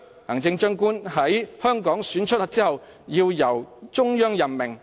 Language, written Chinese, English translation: Cantonese, 行政長官在香港選出後要由中央任命。, The Chief Executive should be appointed by the Central Government after being elected in Hong Kong